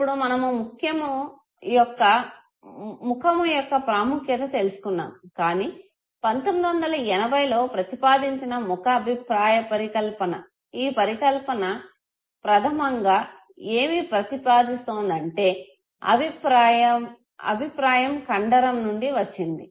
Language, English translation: Telugu, Now that we have understood the significance of the face, Buck in 1980 proposed the facial feedback hypothesis, this hypothesis basically proposes that the feedback that is received from the facial muscle